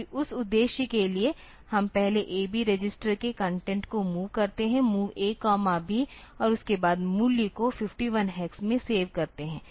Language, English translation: Hindi, So, for that purpose we first move the content of A B register, MOV A comma B, and then save the value in 51 hex and then let i